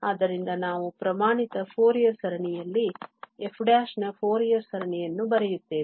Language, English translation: Kannada, So, we will write the Fourier series of f as the standard Fourier series